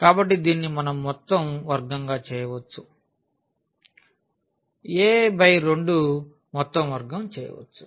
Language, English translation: Telugu, So, this we can make it whole square so, a by 2 whole square